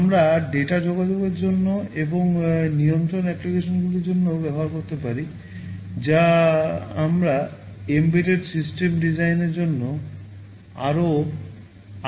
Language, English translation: Bengali, We can use for data communication and also for control applications, which we would be more interested in for embedded system design